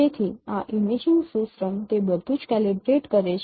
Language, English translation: Gujarati, So this imaging system it it it calibrates everything